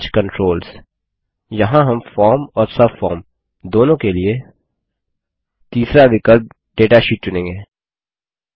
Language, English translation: Hindi, Arrange Controls Here we will choose the third option, Data sheet for both the form and the subform